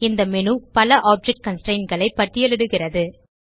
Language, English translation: Tamil, This menu lists various object constraints